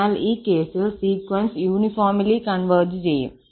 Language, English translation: Malayalam, So, in this case, the sequence converges uniformly